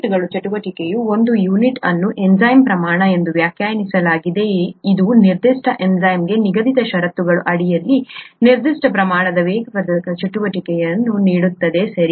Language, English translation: Kannada, Units, a Unit of activity is defined as the amount of enzyme which gives a certain amount of catalytic activity under a prescribed set of conditions for that particular enzyme, okay